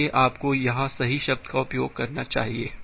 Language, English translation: Hindi, So, you should use the correct term here